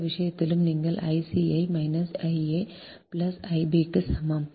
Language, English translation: Tamil, in this case also, you put i c is equal to minus i a plus i b here